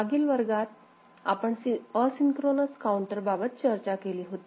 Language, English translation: Marathi, In the last class, we had seen asynchronous counter